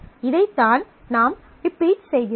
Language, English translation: Tamil, This is what we keep on repeating